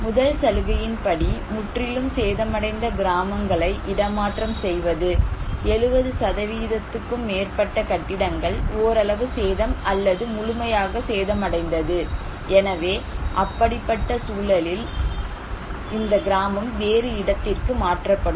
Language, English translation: Tamil, One; package one is that relocation of completely damaged villages like, if there was a damage of more than 70% buildings are affected partially damaged or fully damaged, then this village will be relocated to other place